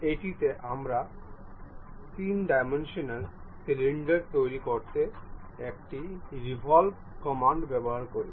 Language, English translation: Bengali, In this, we use a revolve command to construct three dimensional cylinder